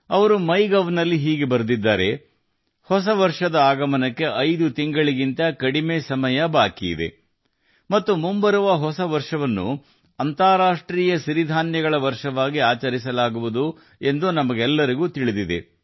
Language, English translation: Kannada, She has written something like this on MyGov There are less than 5 months left for the New Year to come, and we all know that the ensuing New Year will be celebrated as the International Year of Millets